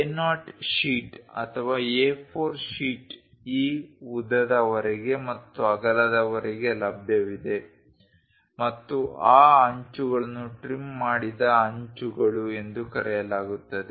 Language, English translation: Kannada, The A0 sheet or A4 sheet which is available up to this length and width those edges are called trimmed edges